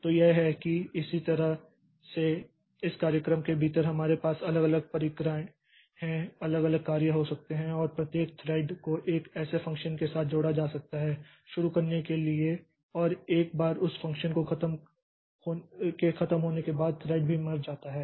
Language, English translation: Hindi, So, this that is how this within the same program we can have different different procedures or different different functions and each thread can be associated with one such function to start with and once that function is over that that thread also dies